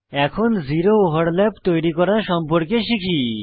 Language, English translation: Bengali, Now, lets learn how to create a zero overlap